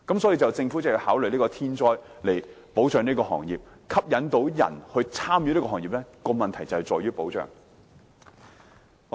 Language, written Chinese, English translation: Cantonese, 所以，政府要考慮設立天災保障機制保障這個行業；要吸引人加入這個行業，關鍵正在於保障。, Hence the Government has to consider setting up a protection mechanism for natural disasters for the industry as security is the key in attracting people to join the industry